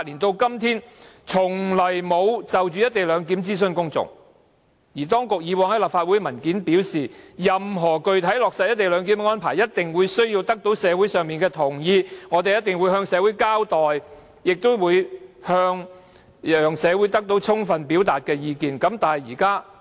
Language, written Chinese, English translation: Cantonese, 當局以往曾在提交立法會的文件表示，任何具體落實"一地兩檢"安排的方案，一定需要得到社會上同意。當局一定會向社會交代，亦會讓社會有充分機會表達意見，但為何現在卻是零諮詢呢？, As the Government has indicated in a paper previously submitted to the Legislative Council that it must secure the consent of the community for any concrete proposal on the implementation of a co - location arrangement and that it would keep the public informed of the relevant proposal and allow ample opportunity for members of the public to express their views why does the Government propose the arrangement now without consultation?